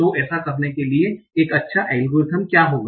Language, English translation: Hindi, So what will be a good algorithm for doing that